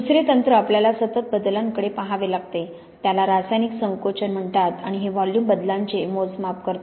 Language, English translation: Marathi, Second technique we have to look at continuous changes is what is called chemical shrinkage and this measures the volume changes